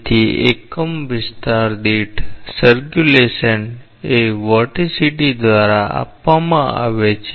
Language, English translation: Gujarati, So, the circulation per unit area is given by the vorticity